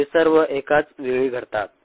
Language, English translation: Marathi, they all simultaneously occur